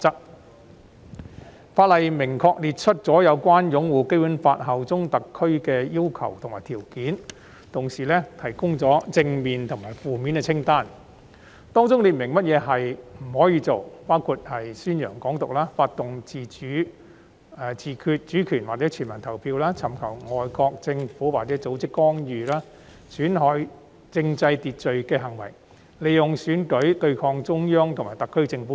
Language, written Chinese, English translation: Cantonese, 《條例草案》除了明確列出有關擁護《基本法》、效忠特區的要求和條件外，亦提供了正面及負面清單，列明不可作出的行為，包括宣揚"港獨"、推動"自決主權"或"全民公投"、尋求外國政府或組織干預、損害政制秩序的行為和利用選舉對抗中央及特區政府等。, Apart from expressly providing the requirements and conditions on upholding the Basic Law and bearing allegiance to SAR the Bill also provides a positive list and a negative list . The latter sets out the acts that should not be committed including advocating Hong Kong independence promoting self - determination of sovereignty or referendum soliciting interference by foreign governments or organizations committing acts that undermine the order of the political structure and making use of an election to confront the Central Peoples Government and the SAR Government